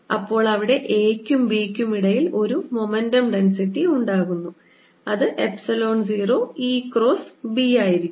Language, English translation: Malayalam, and therefore there's going to be momentum density which is going to be epsilon zero e cross b between a and b